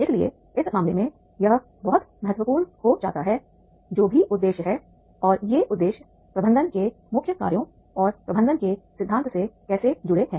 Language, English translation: Hindi, So therefore in that case it becomes very important that is the whatever objectives are there and how these objectives are directed with the main functions of the management and the theories of management